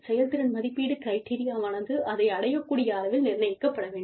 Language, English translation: Tamil, One should set, the performance appraisal criteria, at a level, that can be achieved